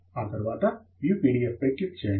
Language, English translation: Telugu, Then we can click on View PDF